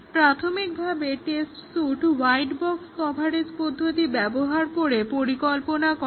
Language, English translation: Bengali, So, in initial test suite is designed using some white box coverage technique we discussed